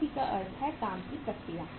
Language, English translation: Hindi, WIP means work in process